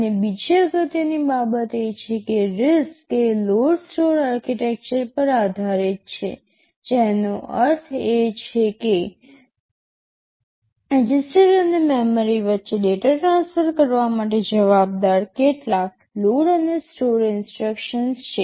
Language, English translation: Gujarati, And another important thing is that RISC is based on a load/ store architecture, which means there are some load and store instructions load and store these instructions are responsible for transferring data between registers and memory